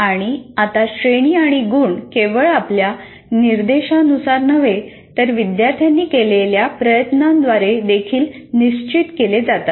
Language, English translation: Marathi, And now the grades and marks are also are decided by not only your instruction, by the effort put in by the student